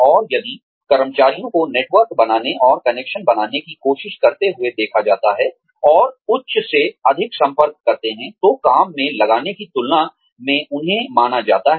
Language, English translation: Hindi, And, if employees are seen trying to make networks, and make connections, and contact the higher ups more, than putting in the work, they are supposed to be putting in